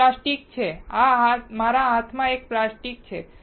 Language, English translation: Gujarati, This is the plastic; this is a plastic in my hand